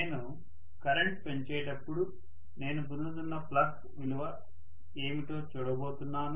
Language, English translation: Telugu, And I am going to look at what is the value of flux I am getting as I increase the current